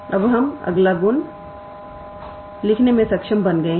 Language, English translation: Hindi, Now, we can also be able to write next property